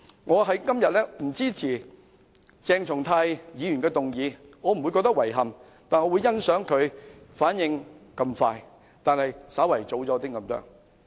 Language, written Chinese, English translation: Cantonese, 我今天不支持鄭松泰議員的議案，但我欣賞他反應如此快，不過是稍為早了一些。, Although I do not support Dr CHENG Chung - tais motion today I appreciate that he has reacted quickly though he might be reacting a bit too soon